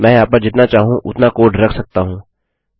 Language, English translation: Hindi, I can put as much code here as I want